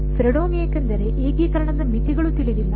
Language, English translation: Kannada, Fredholm, because the limits of integration unknown